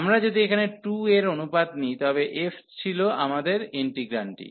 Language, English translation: Bengali, If we take the ratio of the 2 here, so f was our integrand